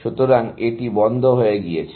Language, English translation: Bengali, So, this is gone into closed